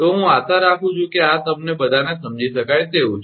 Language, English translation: Gujarati, So, this is I hope this is understandable to all of you right